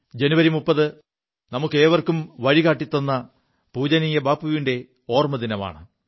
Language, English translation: Malayalam, The 30 th of January is the death anniversary of our revered Bapu, who showed us a new path